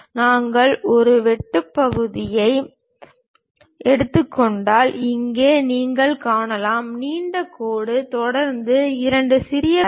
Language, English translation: Tamil, If we are taking a cut section; here you can see, long dash followed by two small dashes and so on